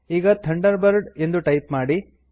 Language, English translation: Kannada, Now type Thunderbird